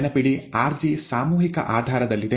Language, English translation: Kannada, rg, remember, is on a mass basis, right